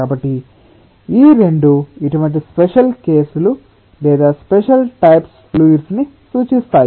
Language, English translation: Telugu, so what special cases or special types of fluids these two represent